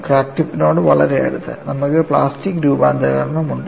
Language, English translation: Malayalam, See, very close to the crack tip, you have plastic deformation